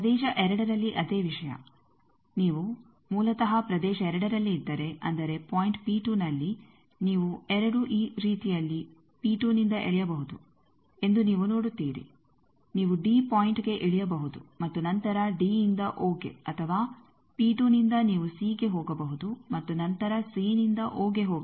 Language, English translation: Kannada, The same thing in region 2 if you are originally in region 2 that means, in point P 2 you see that in 2 ways you can be pulled from P 2 you can either come down to point d and then from d to d o or from P 2 you could have gone to c and then c to o